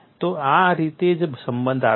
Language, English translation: Gujarati, So, that is the way the relationship comes